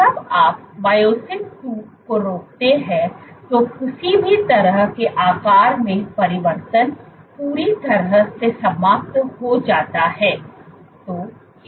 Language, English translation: Hindi, So, when you inhibit myosin two any kind of shape changes is completely eliminated